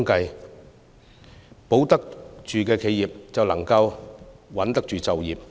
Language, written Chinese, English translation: Cantonese, 能保住企業，便能穩住就業。, If you can keep the companies you can keep the jobs